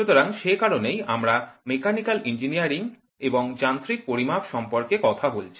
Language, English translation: Bengali, So, that is why we are talking about mechanical engineering and mechanical measurements